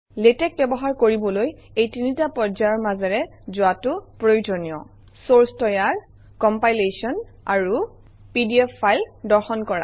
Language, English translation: Assamese, To use latex, one should go through these phases: creation of source, compilation and viewing the pdf file